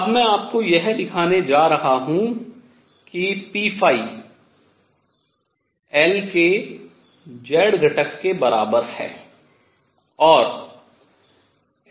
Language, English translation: Hindi, I am now going to show you that p phi is equal to nothing but the z component of L